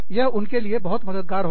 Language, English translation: Hindi, That would be, very helpful for them